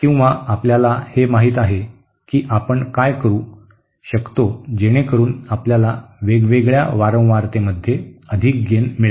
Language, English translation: Marathi, Or you know so to do this what can we do in a so we have a higher gain at a different frequency